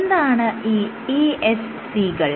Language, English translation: Malayalam, What are ESCs